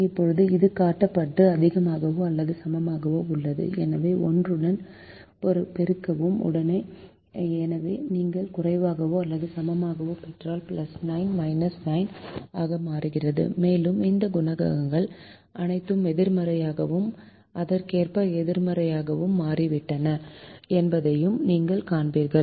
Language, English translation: Tamil, therefore, multiply with minus one, so if you get a less than or equal to the plus nine becomes minus nine, and you will see that all these coefficients have become correspondingly negative and positive respectively